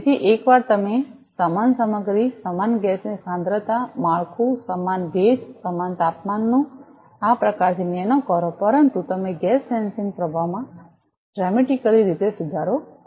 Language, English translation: Gujarati, So, once you do this kind of nano structuring the same material, same gas concentration, same humidity, same temperature, but you get dramatically improved gas sensing performance